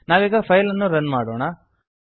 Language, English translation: Kannada, Let us run the file now